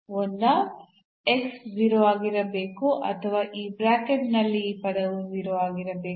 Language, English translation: Kannada, So, either x has to be 0 or this term in this bracket has to be 0